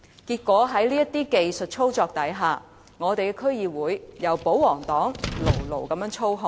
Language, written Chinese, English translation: Cantonese, 結果，在這些技術操作下，本港的區議會由保皇黨牢牢操控。, As a result of these technical manipulations the pro - government camp can secure control of DCs in Hong Kong